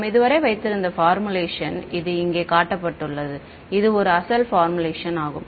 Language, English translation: Tamil, Right so in the formulation that we had so, far which is shown over here this was a original formulation